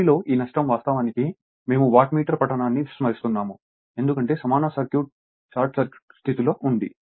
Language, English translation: Telugu, This this loss in the R c we actually we will neglect right watt[meter] in the Wattmeter reading that equivalent circuit under short circuit condition